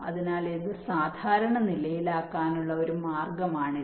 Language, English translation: Malayalam, so this is one way to normalize it